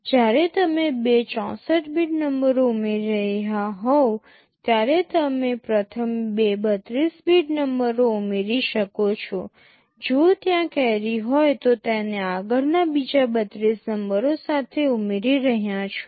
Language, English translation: Gujarati, When you are adding two 64 bit numbers, you add first two 32 bit numbers, if there is a carry the next 32 bit numbers you would be adding with that carry